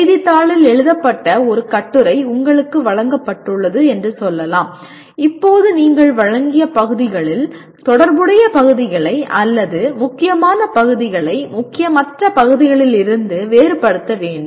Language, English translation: Tamil, Let us say you are given an article written in the newspaper and now you have to distinguish relevant parts or important parts from unimportant parts of the presented material